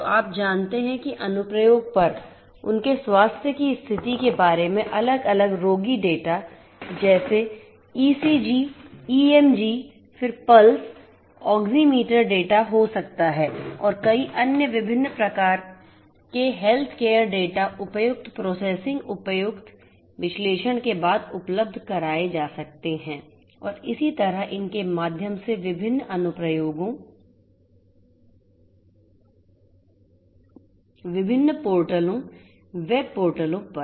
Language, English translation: Hindi, So, you know at the application end, you know data about different patient data about their health condition such as ECG, EMG, then may be pulse oximeter data and many other different types of healthcare data could be made available after suitable processing suitable analytics and so on through these different applications, different portals were portals and so on